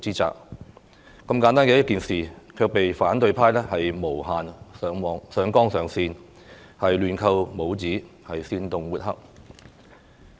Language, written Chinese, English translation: Cantonese, 這麼簡單的一件事，卻被反對派無限上綱上線，亂扣帽子，煽動抹黑。, Yet such a simple issue was blown out of proportions recklessly labelled and smeared by the opposition camp